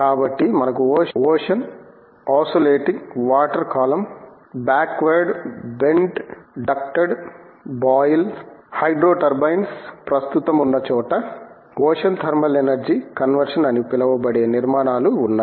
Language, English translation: Telugu, So, we have structures called ocean oscillating water column, backward bent ducted boil, hydro turbines wherever there is current available, ocean thermal energy conversion